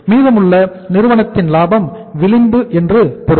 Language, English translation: Tamil, It means the remaining is the margin of the firm